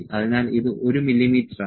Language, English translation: Malayalam, So, this is 1 mm